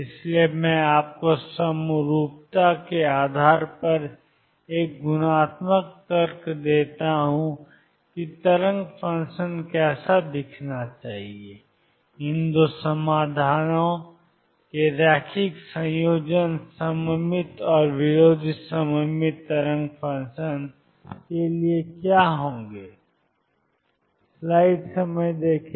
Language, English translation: Hindi, So, I give you a qualitative argument based on symmetry how the wave function should look like as to what it linear combinations of these 2 solutions would be for the symmetric and anti symmetric wave function